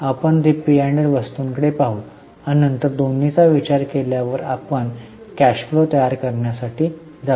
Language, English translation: Marathi, We will also have a look at P&L items and then after considering both we will go for preparation of cash flow